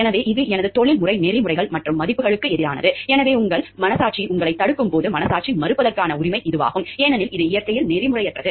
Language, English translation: Tamil, So, because it is going against my professional ethics and values, so this is the right of conscientious refusal when your conscience is stopping you from continue with the process, because you find it is unethical in nature